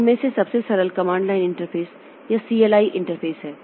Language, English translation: Hindi, The simplest one of them is the command line interface or CLI interface